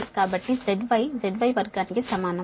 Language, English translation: Telugu, so z c is equal to root over z y